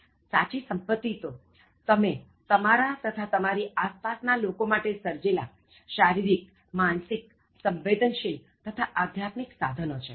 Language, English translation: Gujarati, Real wealth lies in the physical, mental, emotional and spiritual resources you create for yourself and the people around you